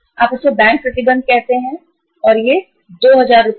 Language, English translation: Hindi, You call it as bank restrictions and these are up to the amount of 2000 Rs, up to the amount of 2000 Rs